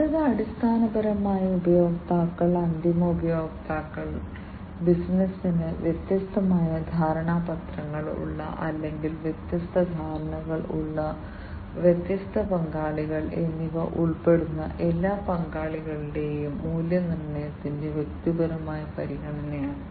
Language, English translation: Malayalam, The next one is basically the explicit consideration of the value proposition for all the stakeholders, which includes the users, the end users, the customers, the different partners with which the business you know they have different , you know, MOUs or they have different understanding between the different other businesses